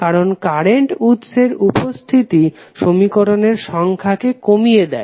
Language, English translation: Bengali, Because the presence of the current source reduces the number of equations